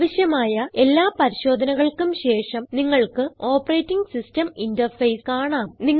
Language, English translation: Malayalam, When all the necessary checks are done, you will see the operating systems interface